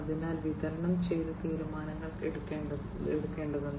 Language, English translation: Malayalam, So, distributed decision making will have to be done